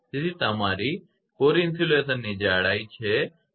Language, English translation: Gujarati, So, it is your thickness of core insulation 2